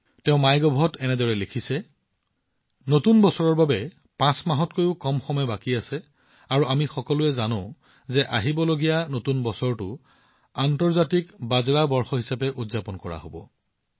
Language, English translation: Assamese, She has written something like this on MyGov There are less than 5 months left for the New Year to come, and we all know that the ensuing New Year will be celebrated as the International Year of Millets